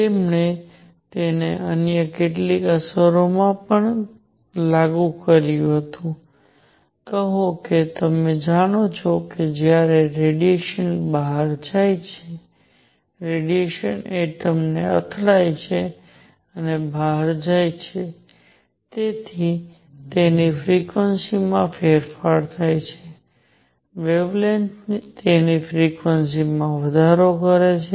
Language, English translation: Gujarati, He also applied it to some other effects; call the; you know when the radiation goes out, radiation hits an atom and goes out, its frequency changes such that the wavelength increases its frequency goes down